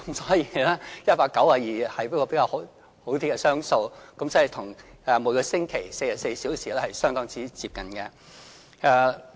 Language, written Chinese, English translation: Cantonese, 所以 ，"192" 是一個較好的雙數，與每星期44小時相當接近。, Therefore the even number 192 which is more auspicious is very close to 44 hours a week